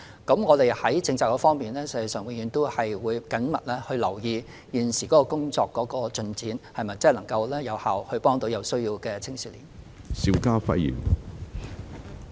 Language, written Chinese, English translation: Cantonese, 在政策上，政府必定會時刻緊密留意現時的工作進展，探討是否能真正有效幫助有需要的青少年。, As far as the policy aspect is concerned the Government will definitely keep the current work progress closely in view and evaluate if effective assistance can genuinely be provided to youngsters in need